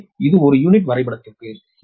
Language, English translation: Tamil, so this is that per unit diagram